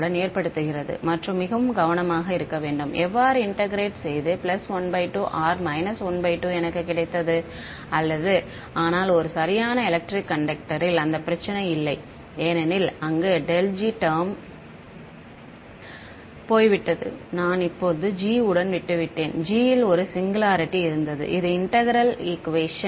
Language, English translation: Tamil, The singularity cause more of a trouble with grad g dot n hat and to be very careful how are integrated I got a plus half or minus half, but for a perfect electric conductor that problem is not there because the grad g term is gone away I am just left with g and g had a singularity which was integrable ok